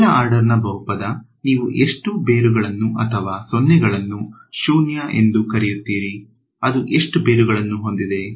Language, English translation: Kannada, First order polynomial, how many roots or zeros you call it zeros how many roots does it have